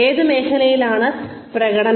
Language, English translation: Malayalam, Performance in which field